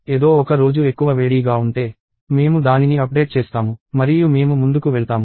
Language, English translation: Telugu, And if some other day becomes hotter, we update it and we move forward